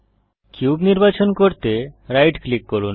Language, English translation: Bengali, Right click the cube to select it